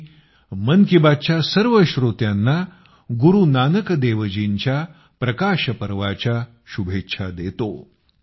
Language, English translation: Marathi, I convey my very best wishes to all the listeners of Mann Ki Baat, on the Prakash Parv of Guru Nanak DevJi